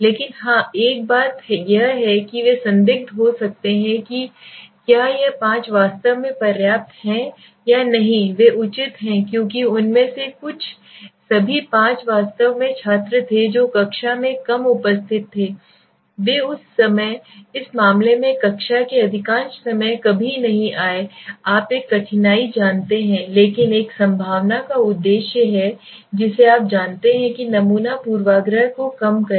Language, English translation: Hindi, But yes one thing is for that they could be questionable whether this five are actually adequate or they are justified because some of them might all the five were students actually who were the low attendance in the class they are never visited the class most of the time so in that case this becomes a you know difficulty but so be the objective of a probability you know sampling is to reduce the bias right